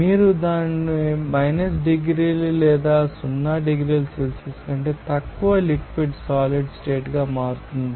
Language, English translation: Telugu, You will see that or even you know 1 degree or less than 0 degree Celsius you will see that liquid will be converting into a solid state